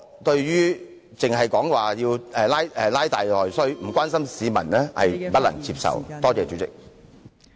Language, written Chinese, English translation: Cantonese, 代理主席，光談拉大內需，卻不關心市民......是我不能接受的。, Deputy President talking about stimulating internal demand without caring about the citizens is not acceptable to me